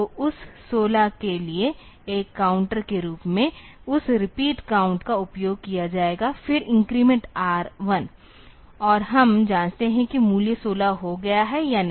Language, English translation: Hindi, So, that repeat count will be using as a counter for that 16; then increment R 1 and we check whether the value has become 16 or not